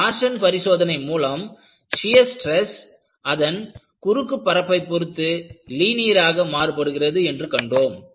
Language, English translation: Tamil, And, in torsion analysis, the shear stress varies linearly over the cross section